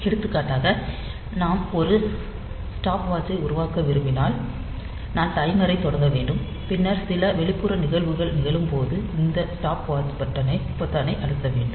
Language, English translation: Tamil, So, if you want to make a stopwatch, then I have to start the timer, and then this I have 2 when some external event occurs, I have to I press this stopwatch button